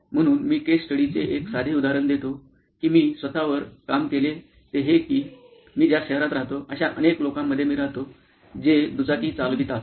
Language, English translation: Marathi, So, I will give you a simple example of case study that I worked on myself is that in the city that I live in a lots of people who ride 2 wheelers powered